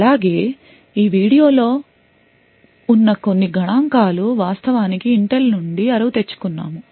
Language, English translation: Telugu, Also, some of the figures that are in this video have been actually borrowed from Intel